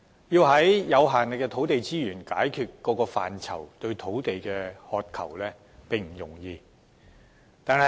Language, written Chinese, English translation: Cantonese, 以有限的土地資源，解決各個範疇對土地的需求，並非易事。, Given the limited land resources in Hong Kong it is no easy task meeting the land demands of various areas